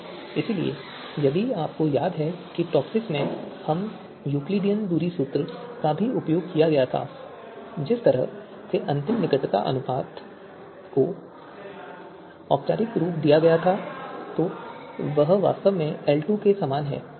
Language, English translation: Hindi, So you remember that in TOPSIS we had used Euclidean distance formula also and the way the final you know you know the closeness ratio was you know formalized